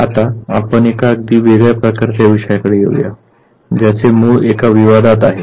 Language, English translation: Marathi, Now let us come to a very different type of a topic which has it is origin in a controversy